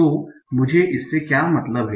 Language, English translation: Hindi, So what do I mean by this